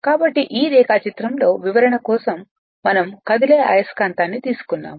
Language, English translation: Telugu, So, there in this diagram in this diagram for the purpose of explanation we have taken a moving magnet